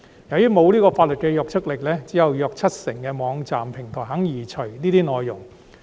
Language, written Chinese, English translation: Cantonese, 由於不具法律約束力，只有約七成網站平台願意移除這些內容。, As the requests are not legally binding only about 70 % of the online platforms are willing to remove such contents